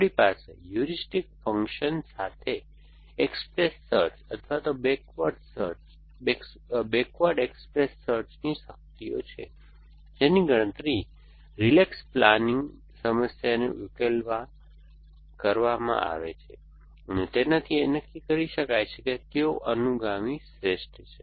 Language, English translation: Gujarati, We could have powers express search or backward express search with the heuristic function which was computed by solving a relax planning problem a to decide which successor is best